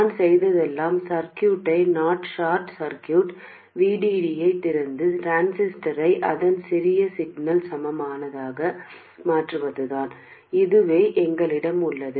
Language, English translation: Tamil, All I have done is to open circuit I0, short circuit VD and replace the transistor with its small signal equivalent